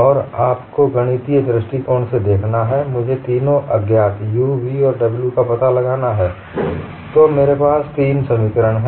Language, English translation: Hindi, And what you will have to look at is, from mathematical point of view, I have to find out three unknowns u, v and w